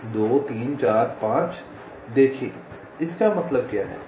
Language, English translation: Hindi, see: two, three, four, five means what